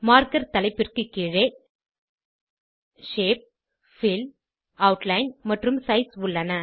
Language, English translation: Tamil, Under Marker heading we have Shape, Fill, Outline and Size